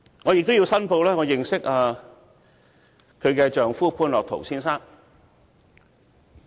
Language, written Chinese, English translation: Cantonese, 我也要申報我認識她的丈夫潘樂陶先生。, I also have to declare that I know her husband Mr Otto POON